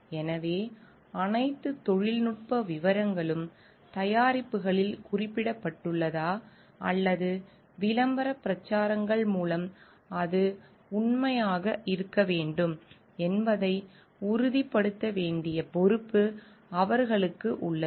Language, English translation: Tamil, So, they have the responsibility to ensure that all technical details are mentioned on the products or communicated via the ad campaigns it should be true